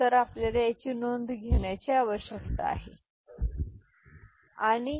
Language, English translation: Marathi, So, this is what we need to take note of and this is the thing